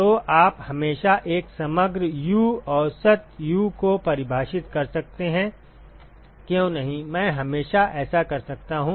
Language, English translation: Hindi, So, you can you can always define an overall U average U, why not, I can always do that no